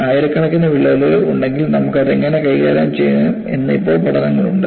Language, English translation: Malayalam, Now, there are studies, if there are thousands of cracks, how you can handle it